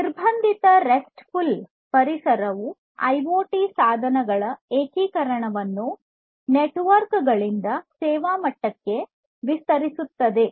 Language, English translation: Kannada, And CoRE; Constrained RESTful Environment extends the integration of IoT devices from networks to the service level